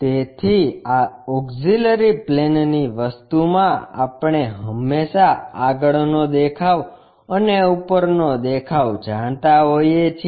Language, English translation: Gujarati, So, in this auxiliary planes thing, what we always know is front view and top view